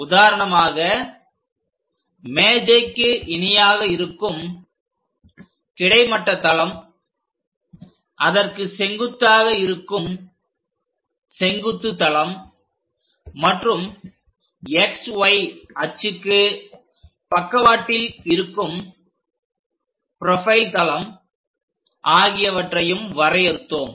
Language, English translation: Tamil, For example, we define a plane as horizontal plane which is lying parallel to the table, other one is vertical plane perpendicular to the plane and a profile plane which is on the side of this X Y axis